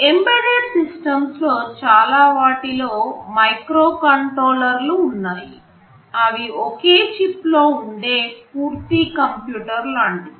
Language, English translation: Telugu, Most of the embedded systems have microcontrollers inside them, they are like a complete computer in a single chip